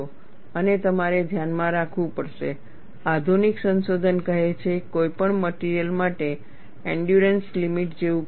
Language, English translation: Gujarati, And you have to keep in mind, the modern research says, there is nothing like endurance limit for any material